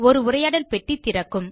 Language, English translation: Tamil, A dialog box will open